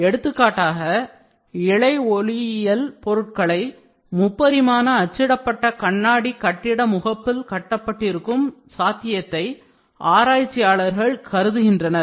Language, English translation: Tamil, For example, researchers envision the possibility of fiber optics built right into the printed glass building facades